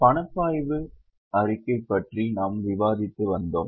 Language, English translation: Tamil, So, we are making a cash flow statement